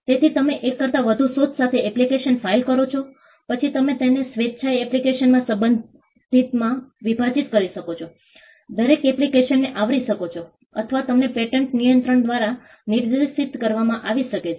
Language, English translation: Gujarati, So, you file an application with more than one invention, then you can voluntarily divide it into the respective in applications, covering each application covering an invention, or you may be directed by the patent controller